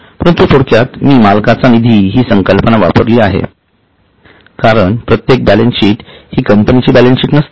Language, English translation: Marathi, While for using the short form I had used the term owners fund because every balance sheet is not a balance sheet of a company